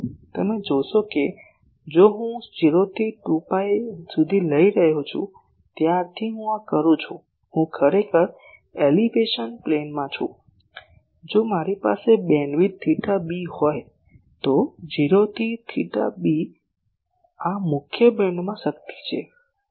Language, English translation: Gujarati, You see if I do this since I am taking from 0 to 2 pi, I am actually in elevation plane if I have a beamwidth theta b then 0 to theta b this is the power in the main beam